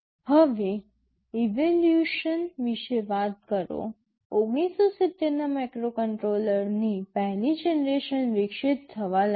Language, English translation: Gujarati, Now, talking about evolution, since the 1970’s the 1st generation of microcontroller started to evolve